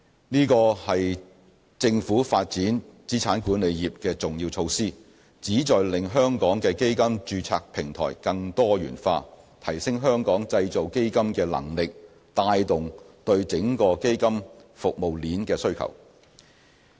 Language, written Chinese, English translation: Cantonese, 這是政府發展資產管理業的重要措施，旨在令香港的基金註冊平台更多元化，提升香港製造基金的能力，帶動對整個基金服務鏈的需求。, This is a key initiative to help diversify Hong Kongs fund domiciliation platform and build up our fund manufacturing capabilities generating demand for services along the whole fund service chain